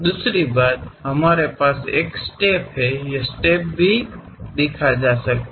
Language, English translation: Hindi, Second thing, we have a step; the step can be clearly seen